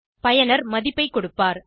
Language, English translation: Tamil, User will enter the value